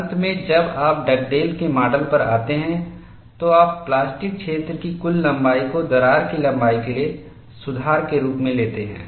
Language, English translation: Hindi, Finally, when you come to Dugdale’s model, you take the total length of the plastic zone as the correction for crack length